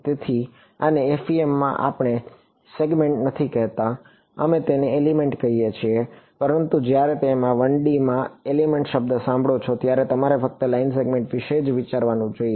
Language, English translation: Gujarati, So, this in FEM we do not call it a segment we call it an element ok, but when you hear the word element in 1D you should just think of line segment